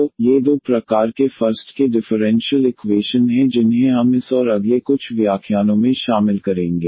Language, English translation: Hindi, So, these are the two types of first order differential equations we will be covering in this and the next few lectures